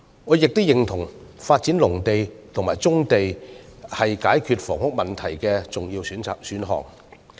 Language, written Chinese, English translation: Cantonese, 我亦認同發展農地和棕地是解決房屋問題的重要選項。, I also agree that the development of agricultural lands and brownfield sites is an important option for resolving the housing problem